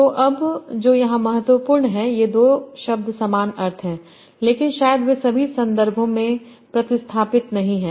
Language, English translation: Hindi, So now what is important here is these two words are similar meanings but probably they are not substitutable in all the contexts